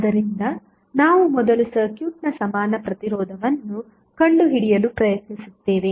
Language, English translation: Kannada, So, we will first try to find out the equivalent resistance of the circuit